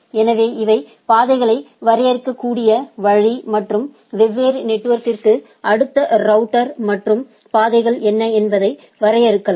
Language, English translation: Tamil, So, these are way the paths can be defined and for different network what is the next router and paths can be defined